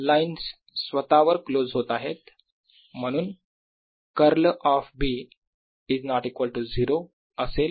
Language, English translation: Marathi, lines close on themselves, therefore curl of b is not equal to zero